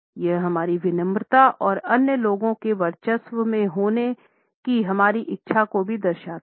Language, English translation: Hindi, It also shows our submissiveness and our meekness and our willingness to be dominated by other people